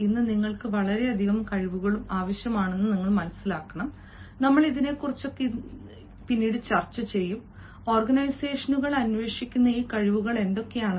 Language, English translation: Malayalam, today, you require so many skills, and we shall discuss what are these skills that the organizations are looking for